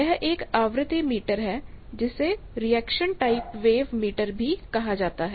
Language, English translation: Hindi, It is a frequency meter where reaction type wave meter also it is called